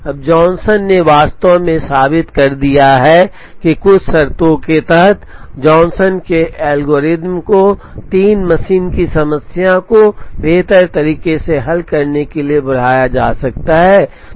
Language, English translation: Hindi, Now, Johnson actually proved that, under certain conditions, the Johnson’s algorithm can be extended to solve the 3 machine problem optimally